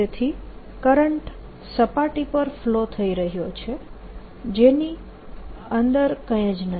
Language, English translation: Gujarati, so current is flowing on the surface, inside there is nothing